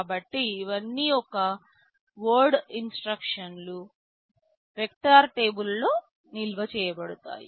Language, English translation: Telugu, So, these are all one word instructions are stored in the vector table